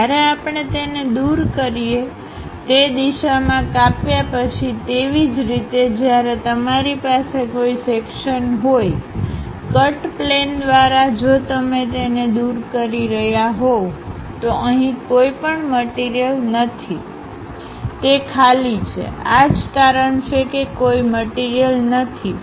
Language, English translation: Gujarati, When we remove it, after making a slice in that direction; similarly, when you have a section; through cut plane if you are removing it, there is no material here, it is just blank empty vacuum that is the reason we have empty thing